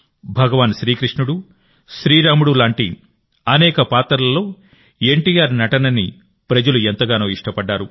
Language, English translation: Telugu, People liked NTR's acting in the roles of Bhagwan Krishna, Ram and many others, so much that they still remember him